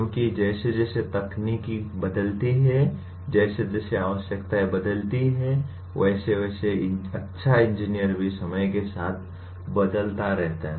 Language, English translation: Hindi, Because as the technology changes as the requirements change what is considered good engineer may also keep changing with time